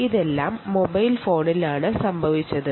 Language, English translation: Malayalam, right, all of this happened on the mobile phone